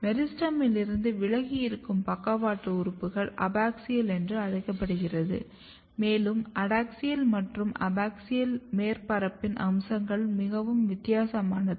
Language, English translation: Tamil, And the part of them on the lateral organ which is away from the meristem is called abaxial, and if you look the features of adaxial and abaxial surface, it is very different